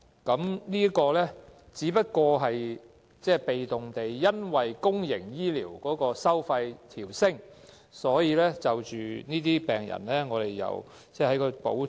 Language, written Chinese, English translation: Cantonese, 這個只是被動地因應公營醫療收費的調整，而向這些病人調升補貼。, Increasing the amount of reimbursement to be granted to patients is merely a passive response to the adjustment in fees and charges for public health care services